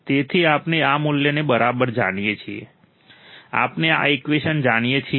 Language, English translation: Gujarati, So, we know this value right, we know this equation